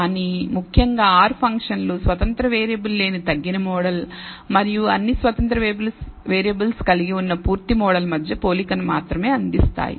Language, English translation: Telugu, But essentially the R functions only provide a comparison between the reduced model which contains no independent variable and the full model which contains all of the independent variables